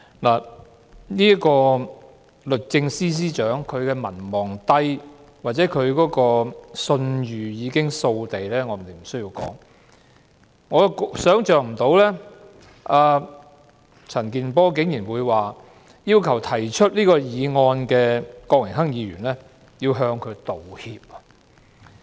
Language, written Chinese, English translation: Cantonese, 律政司司長民望低或信譽掃地，我也不必多說，但我想不到陳健波議員竟然要求提出這項議案的郭榮鏗議員向鄭若驊道歉。, The Secretary for Justice has a very low popularity rating and she is thoroughly discredited . I need not say too much but I cannot imagine that Mr CHAN Kin - por dared ask Mr Dennis KWOK mover of the motion to apologize to Teresa CHENG